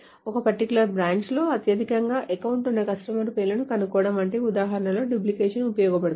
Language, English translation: Telugu, So duplication is useful in examples such as find names of customers who have at most one account at a particular branch